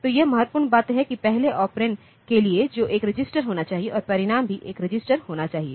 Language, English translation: Hindi, So, this is the important thing that to the first operand that must be a register and the result must also be a register